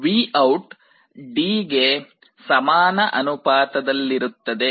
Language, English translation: Kannada, So, VOUT is proportional to D